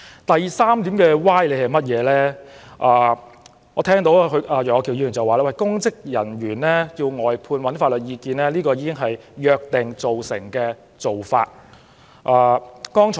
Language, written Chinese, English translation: Cantonese, 至於第三個歪理，我聽到楊岳橋議員指出，涉及公職人員的案件須尋求外間法律意見，這已是約定俗成的做法。, As for the third fallacy according to Mr Alvin YEUNG it is an established practice that external legal advice must be sought in cases involving public servants